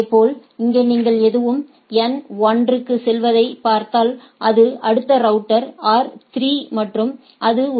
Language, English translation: Tamil, Similarly, here if you see anything goes to N 1, it next router is R 3 and it goes to a AS 3, AS 2 and AS 1 right